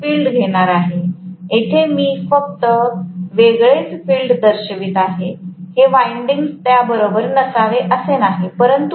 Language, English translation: Marathi, So, I am going to have the field, here I am just showing the field as though it is separate, it is not the winding should be along with that